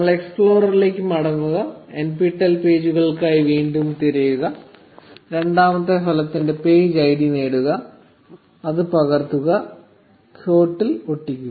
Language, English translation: Malayalam, So we go back to the explorer, search for NPTEL pages again, get the page ID of the second result, copy it, and pasted in the quote